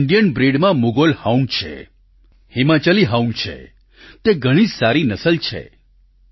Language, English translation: Gujarati, Among the Indian breeds, Mudhol Hound and Himachali Hound are of excellent pedigree